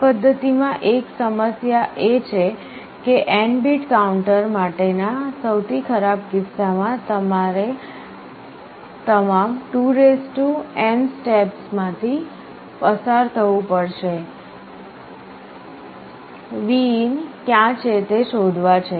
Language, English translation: Gujarati, One problem with this method is that in the worst case for an n bit counter I may have to count through all 2n steps to find where Vin is